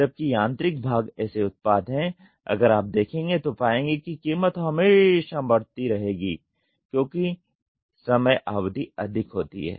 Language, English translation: Hindi, Whereas, the mechanical parts mechanical parts are products if you see the price will always keep increasing as the time period goes high